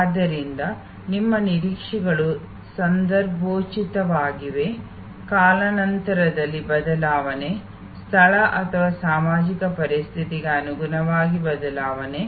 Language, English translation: Kannada, So, our expectations are contextual, the change over time, the change according to location or social situation